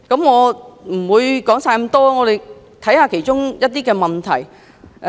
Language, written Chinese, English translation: Cantonese, 我不會全部引述，只集中看其中一些問題。, I am not going to quote all findings here and will just focus on some of the questions only